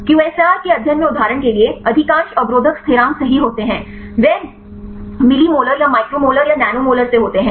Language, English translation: Hindi, For example in the QSAR studies, most of the inhibitor constants right they range from mlili molar or micro molar or nano molar in this case we the wide range